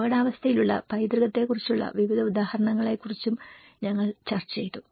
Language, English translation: Malayalam, We did also discussed about various examples on heritage at risk